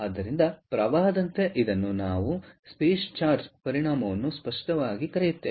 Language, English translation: Kannada, ok, so, as the current this is what we call the space charge effect clear